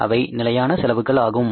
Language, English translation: Tamil, That is the fixed expenses